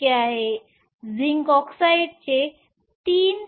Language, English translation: Marathi, 42 zinc oxide is 3